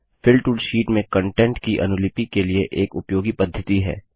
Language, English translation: Hindi, The Fill tool is a useful method for duplicating the contents in the sheet